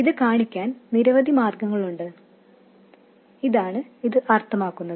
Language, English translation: Malayalam, There are many ways to express this, this is what it means